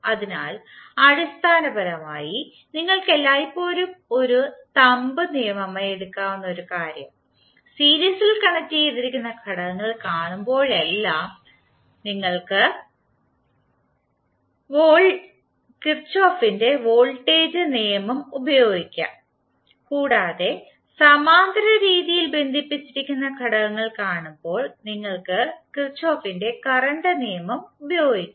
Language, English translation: Malayalam, So basically one important thing which you can always take it as a thumb rule is that whenever you see elements connected in series you can simply apply Kirchhoff’s voltage law and when you see the elements connected in parallel fashion, you can use Kirchhoff’s current law